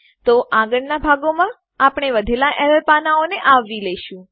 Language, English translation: Gujarati, So in the next parts, we will cover the rest of the error pages